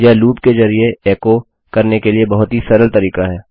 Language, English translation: Hindi, Its a really easy way to echo through our loop